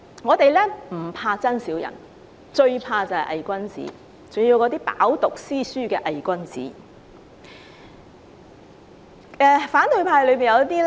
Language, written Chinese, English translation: Cantonese, 我們不怕真小人，最怕偽君子，特別是那些飽讀詩書的偽君子。, We fear not blatantly mean persons but fear hypocrites the most especially the well - educated ones